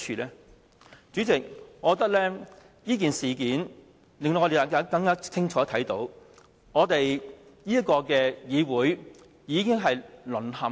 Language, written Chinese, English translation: Cantonese, 代理主席，我覺得這件事件令我們更清楚看到議會已經淪陷。, Deputy President this incident has made us see clearly that this Council has already fallen